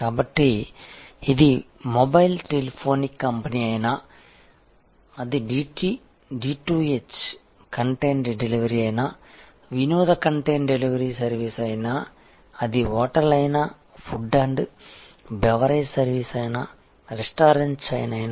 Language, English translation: Telugu, So, whether it is a mobile telephonic company, whether it is a D2H content delivery, entertainment content delivery service, whether it is a hotel or food and beverage service, whether it is a restaurant chain